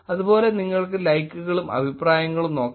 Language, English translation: Malayalam, Similarly, you could look at likes and comments also